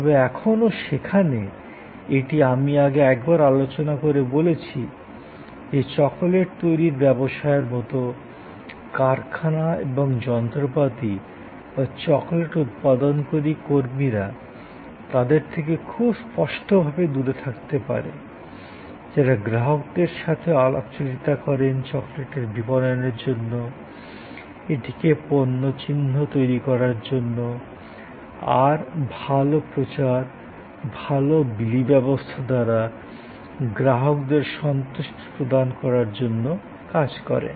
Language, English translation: Bengali, But, still there, it is possible as I discussed earlier once, that like in a business producing chocolate, the plants and machinery or the people, who are producing the chocolate could be quite distinctly away from the people, who would be interacting with the customers to market the chocolate, to build it is brand, to create customer satisfaction in terms of good promotion, good delivery, etc